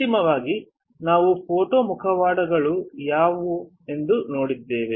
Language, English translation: Kannada, Finally, we have seen what are photo masks